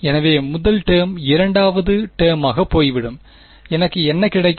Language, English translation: Tamil, So, the first term goes away second term what will I get